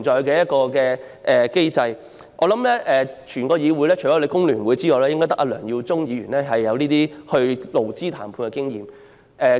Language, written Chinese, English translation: Cantonese, 我相信在這議會內，除工聯會外，只有梁耀忠議員擁有參與勞資談判的經驗。, I believe that in this Council apart from FTU only Mr LEUNG Yiu - chung has the experience of participating in the negotiation between employers and employees